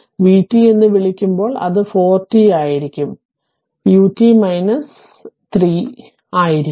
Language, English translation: Malayalam, Therefore, v t will be that they are what you call it will be 4 t then it will be u t minus u t minus 3 right